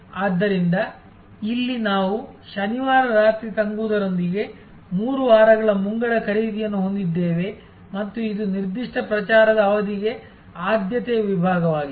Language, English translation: Kannada, So, here we have three weeks advance purchase with Saturday night stay over and this is actually a preferred segment for a particular promotion period